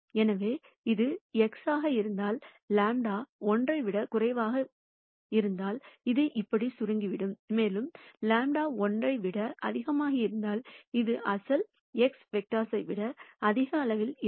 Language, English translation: Tamil, So, if this is x, if lambda is less than 1, this will be shrunk like this, and if lambda is greater than 1 it will be at a higher magnitude than the original x vector